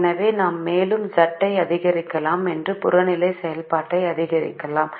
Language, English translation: Tamil, so if we increase it we can further increase z or increase the objective function